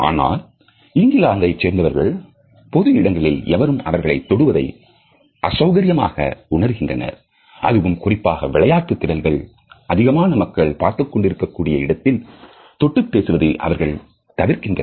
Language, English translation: Tamil, Whereas people in the Britain feel very uncomfortable if somebody touches them in public and this touch is absolutely avoided except perhaps on the sports field and that too in front of a large audience